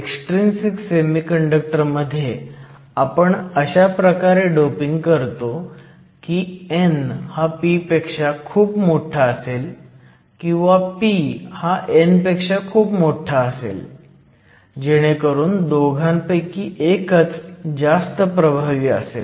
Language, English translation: Marathi, In the case of an extrinsic semiconductor, we usually dope such that either n is much greater than p or p is much greater than n either way only one of these terms will usually dominate